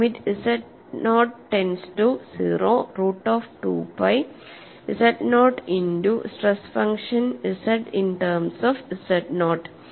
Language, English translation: Malayalam, So, limit z naught tends to 0 root of 2 pi z naught multiplied by a stress function capital Z written in terms of z naught